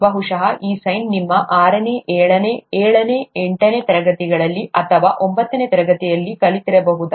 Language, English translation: Kannada, This probably sine is learnt in your sixth, seventh, may be seventh, eighth standards, or may be ninth standard